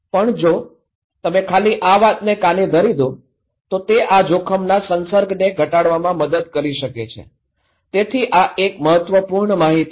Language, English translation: Gujarati, But also, that if you simply putting your ear that can help you to reduce this risk exposure okay, so these are important information